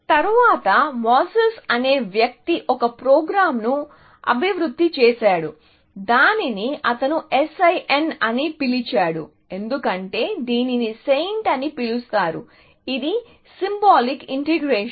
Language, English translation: Telugu, Later, a guy called Moses developed a program, which he called as SIN, because this was called SAINT; which stands for Symbolic Integration